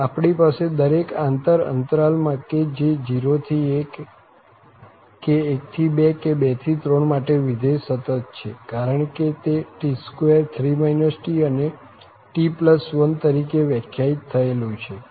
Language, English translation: Gujarati, So again, we have the situation that in each open subinterval whether it is 0 to 1 or it is 1 to 2 or it is 2 to 3, the function is continuous because it is defined by t square, 3 minus t and t plus 1